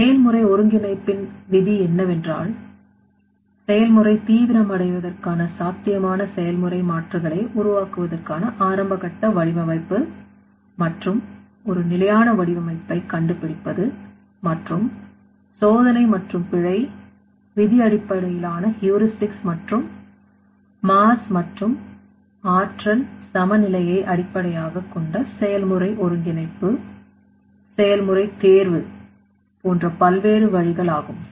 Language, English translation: Tamil, So, the rule of the process synthesis is to find out the early stage design and one more sustainable design to generate the feasible process alternatives for the process intensification and different ways are that here trial and error, rule based heuristics, and process integration based on mass and energy balance, process optimization and more